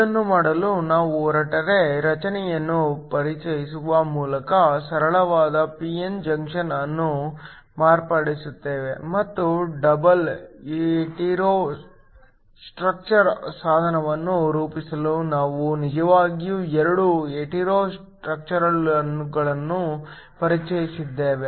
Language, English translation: Kannada, In order to do this, we modify the simple p n junction by introducing a hetero structure and we will see that we actually introduced 2 hetero structures in order to form a double hetero structure device